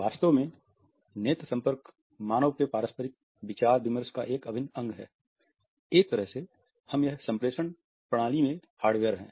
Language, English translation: Hindi, In fact, eye contact is an integral part of human interaction, in a way it has been found that it is hardwired in our system